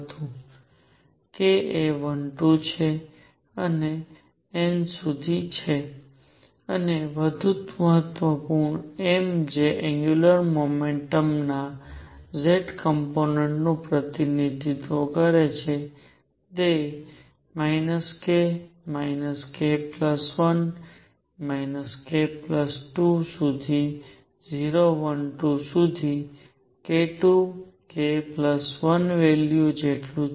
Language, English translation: Gujarati, k is 1 2 and up to n, and more important m which represents the z component of angular momentum is equal to minus k, minus k plus 1, minus k plus 2 all the way up to 0, 1, 2 all the way up to k 2 k plus 1 values